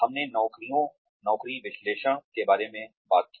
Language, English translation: Hindi, We talked about jobs, job analysis